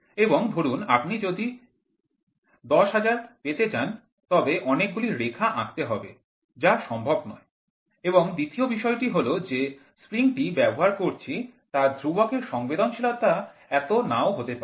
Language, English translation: Bengali, And suppose, if you want to have 10000, then so many lines have to be drawn which is not possible and second thing the spring constant a spring which is used also does not has sensitivity